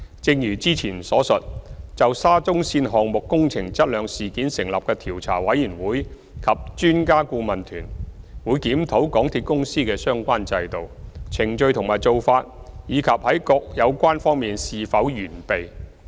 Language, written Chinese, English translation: Cantonese, 正如之前所述，就沙中線項目工程質量事件成立的調查委員會及專家顧問團，會檢討港鐵公司的相關制度、程序和做法，以及在各有關方面是否完備。, As mentioned earlier COI and EAT set up in connection with the incident involving the quality of works in the SCL project will review the relevant systems processes and practices of MTRCL and the adequacy of other relevant aspects